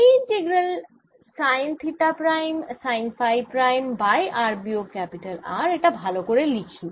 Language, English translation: Bengali, this integral sine theta prime, sine phi prime over r minus capital r